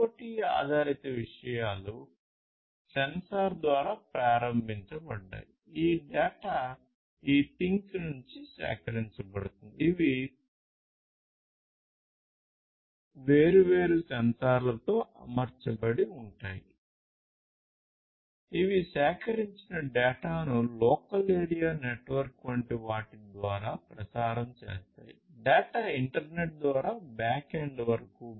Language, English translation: Telugu, So, IoT based things sensor enabled; this data that are collected from these the things which are fitted with different sensors, these will then transmit that collected data through something like a local area network; then sent that data further through the internet to the back end